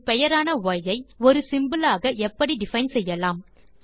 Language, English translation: Tamil, How do you define a name y as a symbol